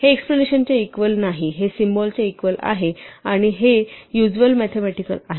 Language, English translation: Marathi, So, this is not equal to exclamation is equal to is a symbol for not equal to and this is the usual mathematical